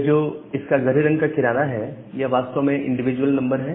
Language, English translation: Hindi, So, this edge this dark edges they are actually individual number